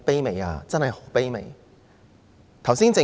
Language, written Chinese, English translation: Cantonese, 這真是很卑微的要求。, This is a most humble request indeed